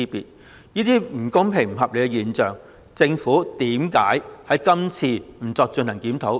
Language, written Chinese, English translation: Cantonese, 對於這些不公平、不合理的現象，為何政府今次不進行檢討？, Why did the Government not review this unfair and unreasonable phenomenon in this legislative amendment exercise?